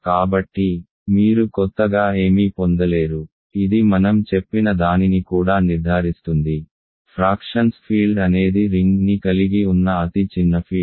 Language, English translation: Telugu, So, you get nothing new this is also confirms what I said, field of fractions is smallest field the smallest field containing a ring